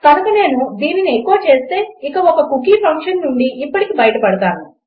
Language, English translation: Telugu, So if I echo this out and get rid of this cookie function for now